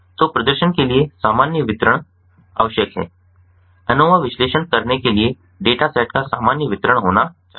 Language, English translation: Hindi, so normal distribution is required for performing normal distribution of the data set has to be there in order to perform anova analysis